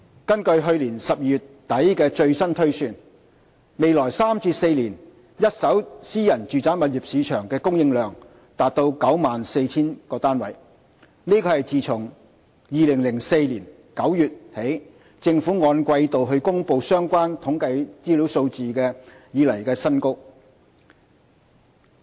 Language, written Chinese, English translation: Cantonese, 根據去年12月底的最新推算，未來3至4年一手私人住宅物業市場的供應量達 94,000 個單位，是自2004年9月起政府按季度公布相關統計資料數字以來的新高。, According to the latest estimate as at end - December last year the projected supply from the first - hand private residential property market for the coming three to four years is approximately 94 000 units a record high since the first release of the quarterly statistics on supply in September 2004